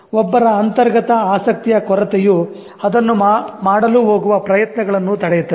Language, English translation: Kannada, It's only lack of one's inherent interest that is preventing him or her to take efforts to do that